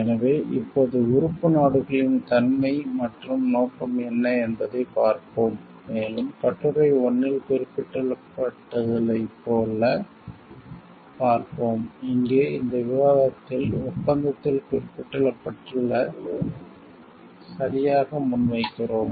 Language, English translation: Tamil, So, now we will see what is the nature and scope of the member countries and we will see like as mentioned in Article 1, here we have in this discussion we are putting forth exactly what is mentioned in the agreement